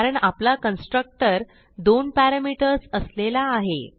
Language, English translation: Marathi, We have two constructor with different parameter